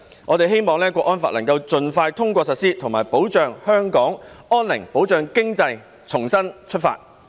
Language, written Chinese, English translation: Cantonese, 我們希望港區國安法能夠盡快通過實施，以及保障香港安寧，保障經濟重新出發。, We hope that the national security law in HKSAR can be passed as soon as possible in order to protect the peace of Hong Kong and to ensure the re - launch of our economy